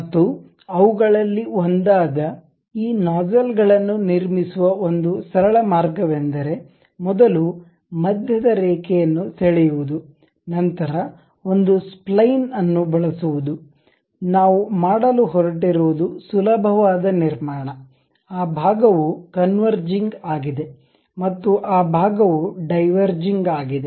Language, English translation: Kannada, And one of the a simple way of constructing these nozzles is first draw a centre line, then use a spline, the easiest construction what we are going to do that portion is converging, and that portion we are having diverging